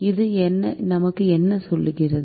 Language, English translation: Tamil, what does this tell us